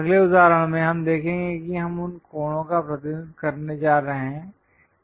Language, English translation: Hindi, In the next example, we will see when we are going to represents those angles